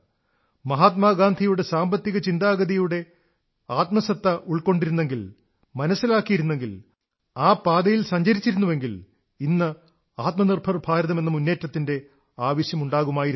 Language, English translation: Malayalam, The economic principles of Mahatma Gandhi, if we would have been able to understand their spirit, grasp it and practically implement them, then the Aatmanirbhar Bharat Abhiyaan would not have been needed today